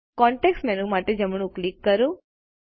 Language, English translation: Gujarati, Right click for the context menu